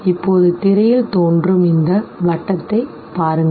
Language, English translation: Tamil, Now look at this very circle on the screen